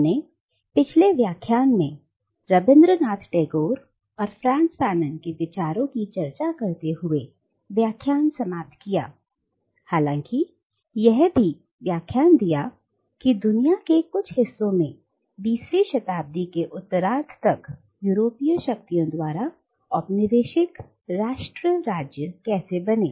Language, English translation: Hindi, Now, we had ended our previous lecture by discussing Rabindranath Tagore’s and Frantz Fanon’s criticism of the idea, though we had also discussed how nation state had become the norm by the second half of the 20th century in the parts of the world which was once colonised by the European powers